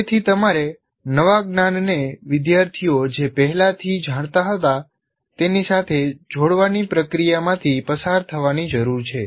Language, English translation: Gujarati, So you have to go through the process of linking the new knowledge to the what the students already knew